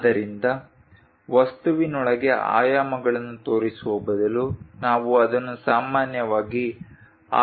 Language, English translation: Kannada, So, instead of showing within the dimensions within the object we usually show it in that way